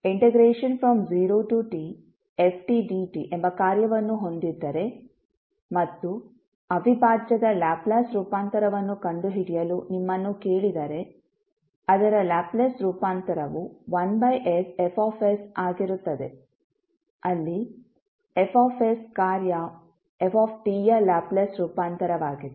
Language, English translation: Kannada, If you have a function, t integral of that, like 0 to t ft dt and you are asked to find the Laplace transform of the integral, it is Laplace transform would be 1 upon s F s, where F s is the Laplace transform of function ft